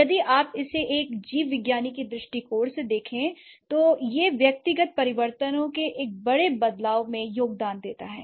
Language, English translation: Hindi, So, if you look at it from a biologist's point of view, so it's the individual changes brings or the individual changes contribute to a bigger change